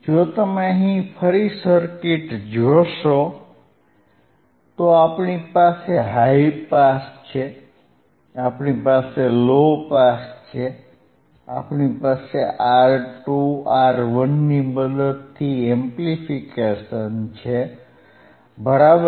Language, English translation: Gujarati, So, iIf you see the circuit here again, we have we have high pass, we have low pass, we have the amplification with the help of R 2, R 1, right